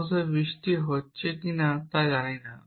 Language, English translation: Bengali, Off course do not know whether it is raining or not